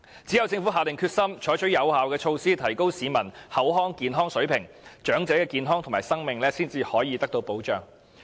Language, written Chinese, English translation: Cantonese, 只有政府下定決心採取有效措施，提高市民的口腔健康水平，長者的健康和生命才能獲得保障。, Only by making up its mind to take effective measures can the Government improve peoples oral health and can the health and life of elderly persons be protected